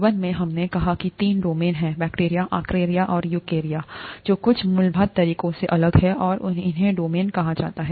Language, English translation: Hindi, Life, we said had three domains; bacteria, archaea and eukarya, which are different in some fundamental ways, and these are called domains